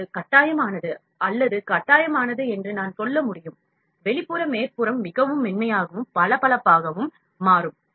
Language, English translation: Tamil, So, it is mandatory or it is I can say, compulsory that the outer surface becomes really smooth and shiny